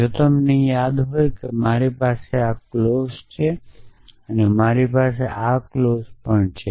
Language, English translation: Gujarati, If you recall I have this clause and I have this clause